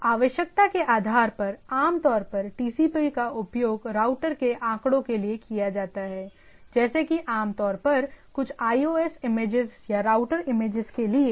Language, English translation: Hindi, So that means, based on the requirement, like typically TCP is used for routers figures like, like typically for example, some of the iOS images or the router images